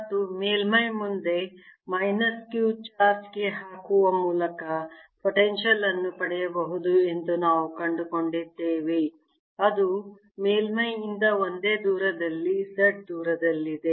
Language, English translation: Kannada, and we found that the potential can be obtained by putting a minus charge, minus q charge for a charge q in front of the surface which is at a distance, z at the same distance from the surface